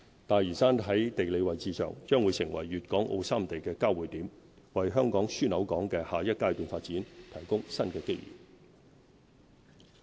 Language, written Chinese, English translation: Cantonese, 大嶼山在地理位置上，將會成為粵港澳三地的交匯點，為香港樞紐港的下一階段發展，提供新機遇。, Lantau Island will become the geographical converging point of Guangdong Hong Kong and Macao providing new opportunities for the next stage of Hong Kongs development as a regional hub